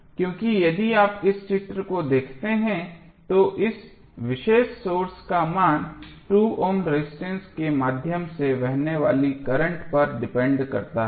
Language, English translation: Hindi, Because if you see this figure the value of this particular current source is depending upon the current flowing through 2 ohm resistance